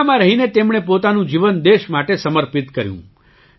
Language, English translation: Gujarati, While in the army, he dedicated his life to the country